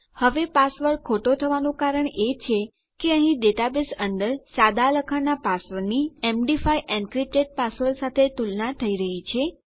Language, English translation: Gujarati, Now, the reason my password is wrong is that my plain text password here is being compared to my md5 encrypted password inside my data base